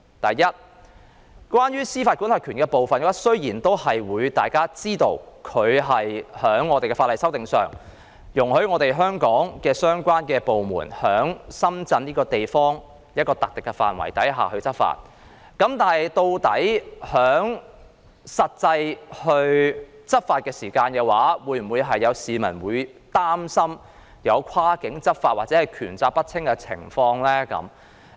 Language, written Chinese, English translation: Cantonese, 第一，關於司法管轄權的部分，雖然大家皆知道，法例須予修訂，以容許港方相關部門在深圳一個特定範圍內執法，但有市民擔心在實際執法時究竟會否出現跨境執法或權責不清的情況。, The first concern is about jurisdiction . While everybody knows that the legislation must be amended to allow the relevant Hong Kong departments to enforce the law within a designated area in Shenzhen some people are concerned about the possibility of cross - boundary law enforcement or unclear delineation of powers and responsibilities in the actual law enforcement process